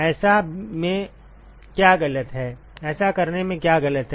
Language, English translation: Hindi, What is wrong in doing that